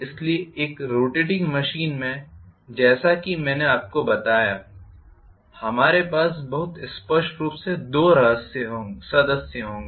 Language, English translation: Hindi, So, in a rotating machine as I told you we will have very clearly two members